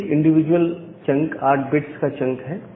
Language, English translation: Hindi, So, every individual chunk is a 8 bit chunk